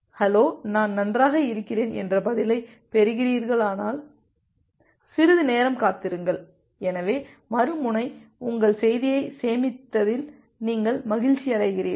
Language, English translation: Tamil, wait for some amount of time if you are getting the respond that hello I am well, so you are happy that the other end has saved your message